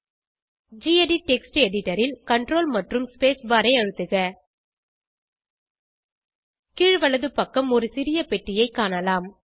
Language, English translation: Tamil, In gedit Text Editor press CTRL + SPACE BAR You can see a small box at the bottom right hand side